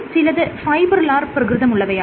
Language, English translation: Malayalam, Some of them are fibrillar